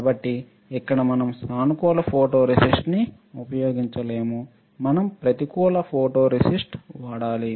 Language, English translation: Telugu, So, here we cannot use positive photoresist, we can use, we have to use negative photoresist